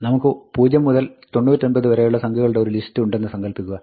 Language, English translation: Malayalam, Supposing, we have the list of numbers from 0 to 99